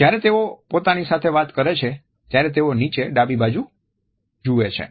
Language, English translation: Gujarati, When they are taking to themselves they look down onto the left